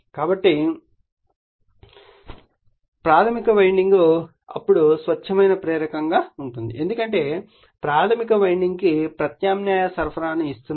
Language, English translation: Telugu, So, primary winding then will be a pure inductor because we are giving alternating supply to the primary winding